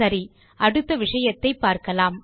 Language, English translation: Tamil, Okay, let us go to the next topic now